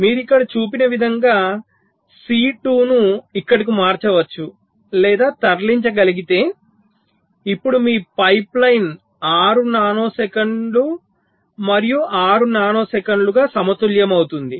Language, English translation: Telugu, but if you can shift or move c two here, like shown here now, your pipe line becomes balanced: six nano second and six nano seconds